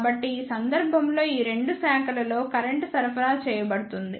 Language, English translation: Telugu, So, in this case the current will be supplied in these two branches